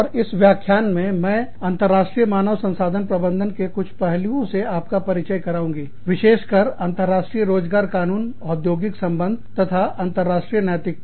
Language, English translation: Hindi, And, in this lecture, i will introduce you, to a few aspects of, International Human Resource Management, specifically, global employment law, industrial relations, and international ethics